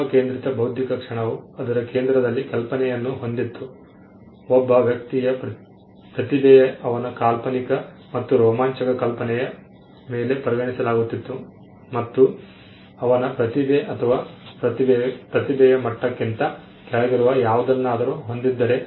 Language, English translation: Kannada, The human centric intellectual moment had imagination at it centre, it was regarded that a genius is a person who was imaginative and over a vibrant imagination; where has talent or something which was below the level of a genius